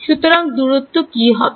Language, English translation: Bengali, So, what is the distance